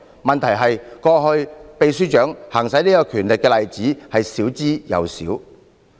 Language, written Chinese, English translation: Cantonese, 問題是，過去秘書長行使這權力的例子極少。, The problem is that there have been few cases in which the Permanent Secretary has exercised this power